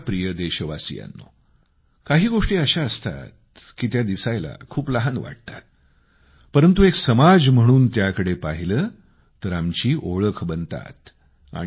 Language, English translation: Marathi, My dear countrymen, there are a few things which appear small but they have a far reaching impact on our image as a society